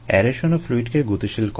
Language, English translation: Bengali, the aeration also displaces the fluid